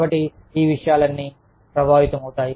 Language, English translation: Telugu, So, all of these things, get affected